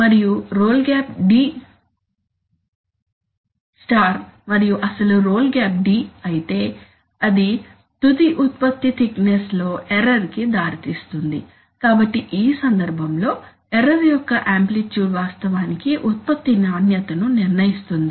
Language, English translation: Telugu, And if the role gap d* let us say and if the actual role gap is d then that will lead to an error in the final product thickness, so in this case the amplitude of the error, amplitude of the error actually decides product quality